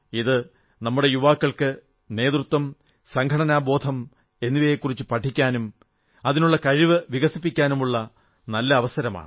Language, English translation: Malayalam, This is an excellent chance for our youth wherein they can learn qualities of leadership and organization and inculcate these in themselves